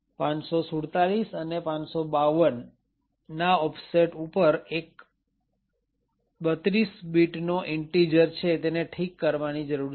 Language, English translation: Gujarati, So, it defines it that at an offset of 547 and 552 a 32 bit integer needs to be fixed